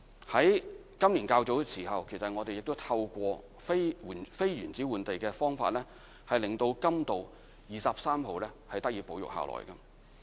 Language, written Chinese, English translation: Cantonese, 在今年較早時候，我們亦透過非原址換地的方法，令甘道23號得以保育。, Earlier this year we also put No . 23 Coombe Road under conservation with the use of non - insitu land exchange